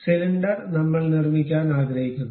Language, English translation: Malayalam, Cylinder, we would like to construct